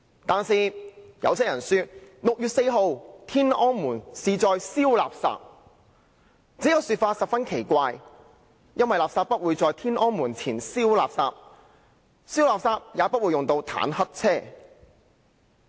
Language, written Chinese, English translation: Cantonese, 但是，有些人說 ，6 月4日天安門是在燒垃圾。這個說法十分奇怪，因為垃圾不會在天安門前燒，燒垃圾也不會用到坦克車。, Some people said they were burning refuse in Tiananmen Square on 4 June but that sounds strange because refuse should not be burnt in Tiananmen Square and tanks are not needed for burning refuse